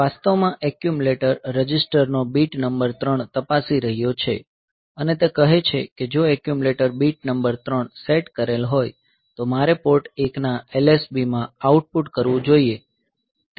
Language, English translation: Gujarati, So, this is actually checking the bit number 3 of the accumulator register and it says that if the accumulator bit number 3 is set, then I should output to LSB of Port 1